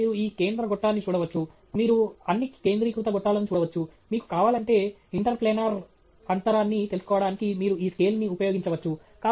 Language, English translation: Telugu, And then, you can see this central tube, you can see all the concentric tubes; if you want, you can use this scale to find out the interplanar spacing okay